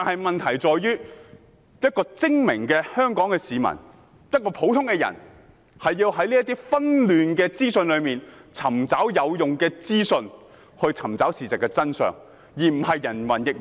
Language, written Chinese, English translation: Cantonese, 問題在於精明的香港市民，要如何在紛亂的資訊中尋找事實真相，而不是人云亦云。, The question is how the very smart Hong Kong people can find facts and truth in an avalanche of information and not parrot what others say